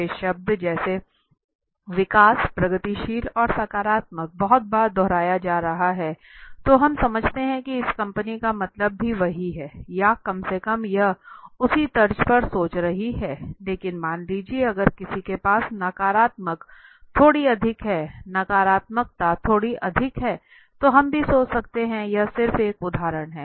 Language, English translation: Hindi, The particular words like growth the progressive and the positive is being repeated too many times then we understand that this company also means the same or at least it is thinking on the same lines but suppose if somebody has got little more on the negative then also similarly we can think this is just an example right